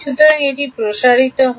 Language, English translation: Bengali, So, this is expanding